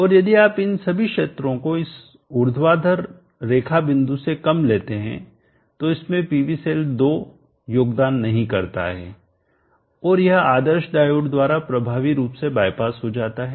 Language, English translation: Hindi, And if you take all these regions less than this vertical line point PV cell 2 does not contribute it is effectively bypass by this ideal diode so only PV cell 1 is sourcing